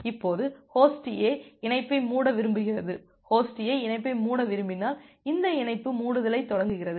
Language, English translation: Tamil, Now Host A want to close the connection, when Host A wants to close the connection at it initiates this connection closure we call it as an active close